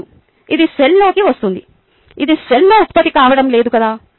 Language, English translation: Telugu, this is not being generated in the cell, right